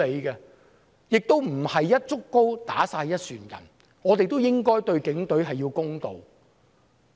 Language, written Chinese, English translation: Cantonese, 不要"一竹篙打一船人"，我們應該對警隊公道。, Instead of tarring everyone with the same brush we should be fair to the Police